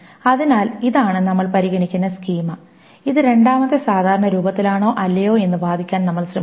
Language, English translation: Malayalam, So this is the schema that we will consider and we will try to argue whether this is in second normal form or not